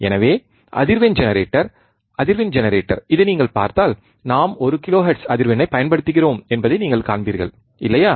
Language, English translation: Tamil, So, if you see the frequency generator, frequency generator, this one, you will see we have we are applying one kilohertz frequency, right